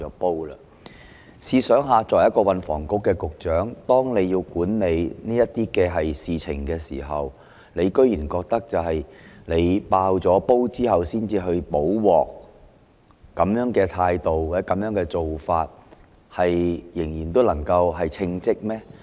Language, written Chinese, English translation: Cantonese, 大家試想想，他作為運房局局長，當要管理這些事情時，竟然認為要"爆煲"後才去"補鑊"，持這種態度或做法，仍算得上稱職嗎？, Just think about it as STH in charge of such matters he has gone so far as to think that remedy is necessary only after a bombshell has been dropped . With this attitude or practice can he still be considered competent?